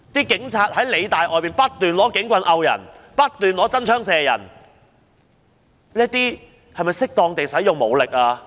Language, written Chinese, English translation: Cantonese, 警察在理大外不斷用警棍打人，不斷用真槍射人，這是否使用適當武力呢？, On the campus of PolyU police officers continued to beat people with batons and shoot people with live rounds . Is such force appropriate force?